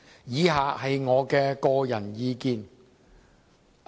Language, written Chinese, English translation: Cantonese, 以下是我的個人意見。, Next I would like to state my personal views